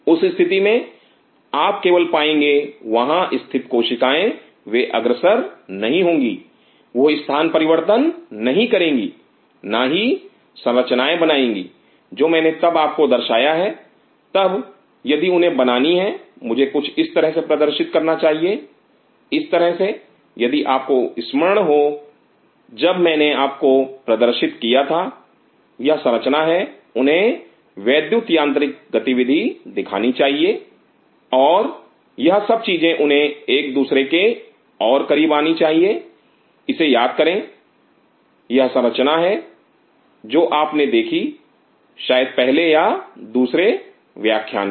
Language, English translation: Hindi, In that situation you will only see the cells sitting there they will not move, they will not migrate and form the structure what I showed you then if they have to form I should show something like this like if you remember when I showed you this is structure they should show the electromechanical activity and all this thing they should come close to each other remember this is structure which you showed you in probably in the first or second lecture